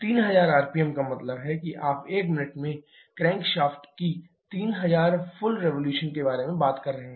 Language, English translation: Hindi, 3000 rpm means you are talking about 3000 full revolution of the crankshaft in one minute